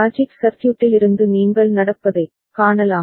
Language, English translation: Tamil, From the logic circuit also you can see that happening